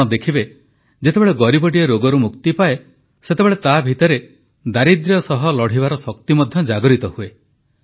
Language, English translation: Odia, You will see that when an underprivileged steps out of the circle of the disease, you can witness in him a new vigour to combat poverty